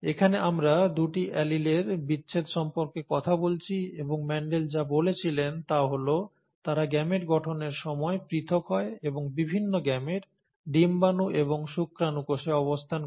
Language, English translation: Bengali, Here we are talking about the separation of the two alleles, and what Mendel said was that they segregate during gamete formation and are placed in different gametes, the egg and the sperm cells